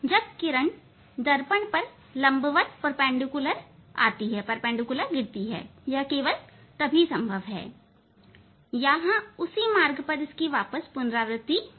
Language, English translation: Hindi, When light will fall on the mirror perpendicularly right only then it is possible to retrace come back with the following the same path